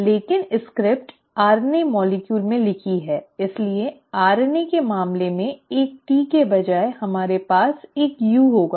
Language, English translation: Hindi, But the script is written in the RNA molecule so instead of a T in case of RNA we are going to have a U